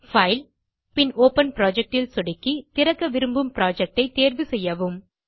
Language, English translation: Tamil, Just click on File gt Open Project and choose the project you want to open